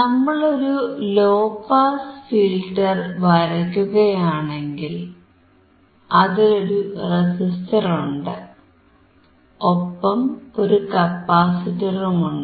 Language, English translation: Malayalam, And if you remember the low pass passive filter had a resistor, and a capacitor